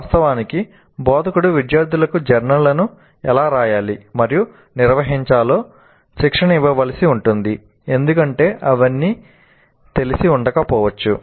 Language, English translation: Telugu, Of course, instructor may have to train the students in how to write and maintain the journals because all of them may not be familiar